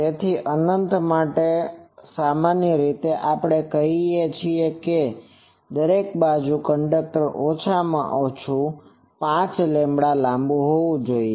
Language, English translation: Gujarati, So, for infinite generally we say that in each side, the conductor should be at least 5 lambda long